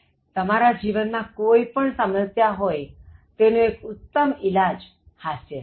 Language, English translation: Gujarati, So, whatever problems that you have in life, so one of the best remedies is to laugh